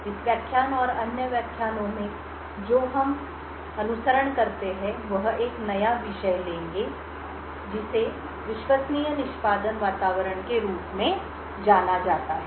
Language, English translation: Hindi, In this lecture and other lectures that follow we will take a new topic know as Trusted Execution Environments